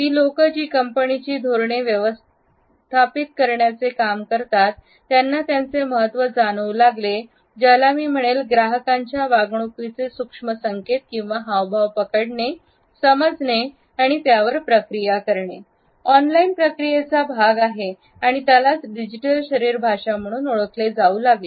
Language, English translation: Marathi, The people, who manage company policies, started to realise the significance of and I quote “capturing, understanding and processing the subtle signals” that are part of the online processes and they came to be known as digital body language